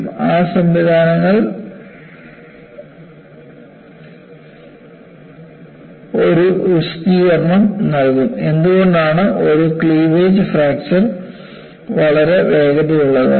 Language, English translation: Malayalam, And we will also look at the mechanisms, and those mechanisms will give an explanation, why a cleavage fracture is very fast